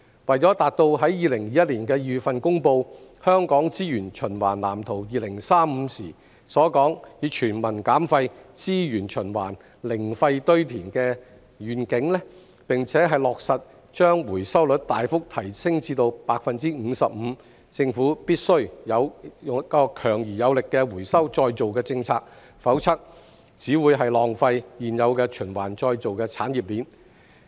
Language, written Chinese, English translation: Cantonese, 為達到在2021年2月公布《香港資源循環藍圖2035》時所說"全民減廢.資源循環.零廢堆填"的願景，並落實把回收率大幅提升至 55%， 政府必須有強而有力的回收再造政策，否則只會浪費現有的循環再造產業鏈。, To achieve the vision of Waste Reduction․Resources Circulation․Zero Landfill stated in the Waste Blueprint for Hong Kong 2035 announced in February 2021 and to realize a substantial increase in the recovery rate to 55 % the Government must formulate strong recycling policies or else the existing recycling chain will not work